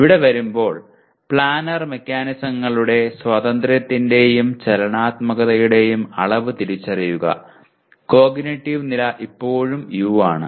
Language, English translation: Malayalam, And coming here, identify the degrees of freedom and motion characteristics of planar mechanisms, the cognitive level is still U